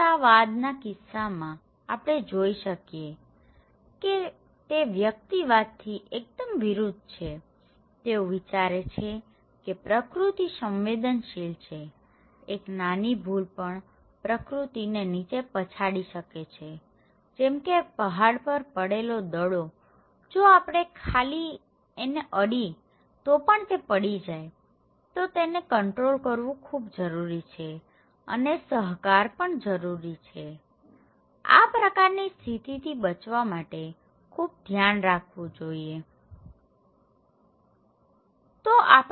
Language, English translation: Gujarati, In case of egalitarian which is kind of they see that actually the it’s very opposite of the individualistic any, they think that that nature is very vulnerable, any little mistake nature will come crashing down okay, like a ball balanced on a hill, if we just touch it, it will fall so, we need lot of control, lot of control okay and cooperation is necessary to protect yourself from that kind of threat okay